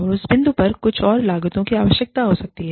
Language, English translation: Hindi, And, at that point, some more costs may, need to be incurred